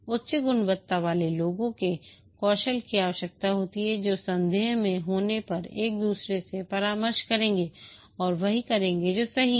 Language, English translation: Hindi, High quality people skills are required who when in doubt will consult each other and do what is correct